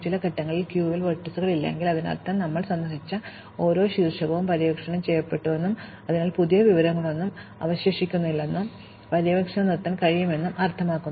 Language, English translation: Malayalam, If at some stage, there are no vertices in the queue, it means that every vertex, we have visited has been explored and so there is no new information left and we can stop the exploration